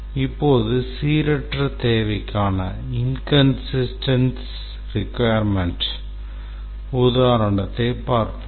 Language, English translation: Tamil, Now let's look at an example of a inconsistent requirement